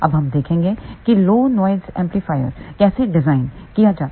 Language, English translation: Hindi, Now, we will look at how to design low noise amplifier